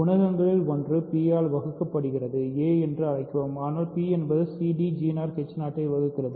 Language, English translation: Tamil, So, one of the coefficients is not divisible by p so, call that a, but p divides c d g 0 h 0